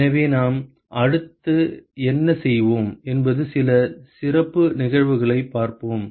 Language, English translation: Tamil, So, what we will do next is we look at some special cases